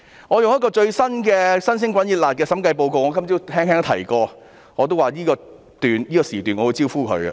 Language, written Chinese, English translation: Cantonese, 我用一個最新發表的審計報告來說明，我今早也曾提到，我會在這個辯論時段"招呼"發展局。, Let me illustrate my point with the recently published Audit Report . I mentioned this morning that I would give the Development Bureau a dressing - down in this debate session